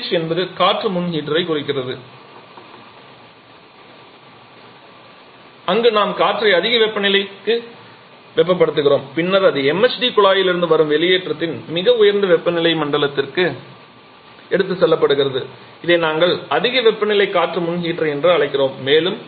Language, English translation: Tamil, Then we have a low temperature air pre heater APH first to air pre heater where we heat the air to high temperature level then it is taken to the highest temperature zone of the exhaust coming from the MHD duct which we call the high temperature air pre heater